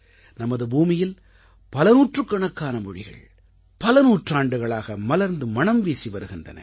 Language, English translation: Tamil, Hundreds of languages have blossomed and flourished in our country for centuries